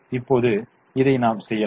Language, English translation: Tamil, so let us try and do this